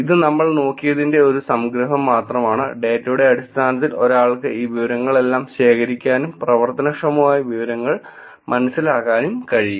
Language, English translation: Malayalam, Just a quick summary of what we looked at also, right, in terms of the data one could actually look at collecting all these information, and helping understand actionable information